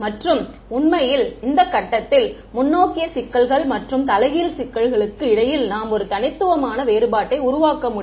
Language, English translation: Tamil, And, actually, at this point we can make a distinguish distinction between forward problems and inverse problems